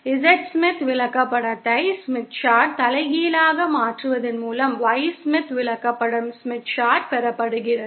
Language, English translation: Tamil, Y Smith chart is obtained by inverting the Z Smith chart